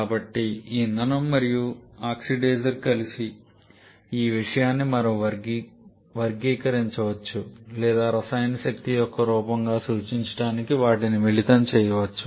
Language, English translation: Telugu, So, this fuel and oxidizer together this thing we can classify as or we can combine them to represent as a form of chemical energy